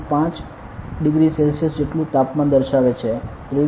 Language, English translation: Gujarati, 5 degrees Celsius; 23